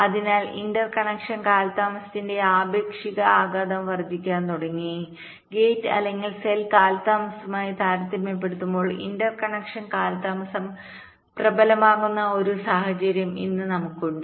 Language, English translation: Malayalam, so the relative impact of the interconnection delays started to increase and today we have a situation where the interconnection delay is becoming pre dominant as compare to the gate or cell delays